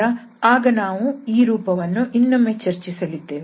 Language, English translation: Kannada, So, at that time We will discuss this form again